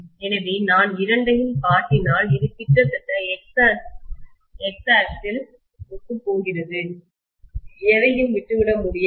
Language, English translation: Tamil, So if I show both of them, this will almost coincide with the X axis itself, there will be hardly anything that will be left out, right